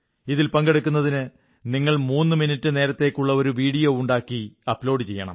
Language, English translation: Malayalam, To participate in this International Video Blog competition, you will have to make a threeminute video and upload it